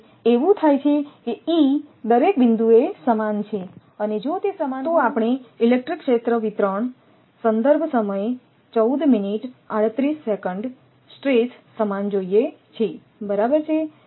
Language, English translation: Gujarati, So, it happens that all E at every point that is same and if they are equal, we want equal electric field distribution (Refer Time: 14:38) stress right